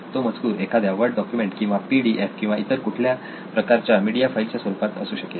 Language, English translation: Marathi, So it can be a word document or a PDF or, so it could be any kind of a media file